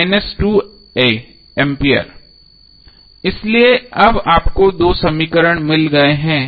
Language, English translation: Hindi, So now you have got two equations